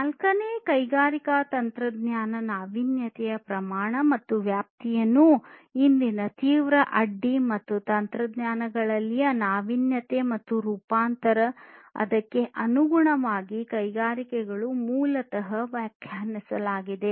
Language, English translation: Kannada, So, the scale and scope of innovation of fourth industrial revolution has basically defined today’s acute disruption and innovation in technologies and the transformation of industries accordingly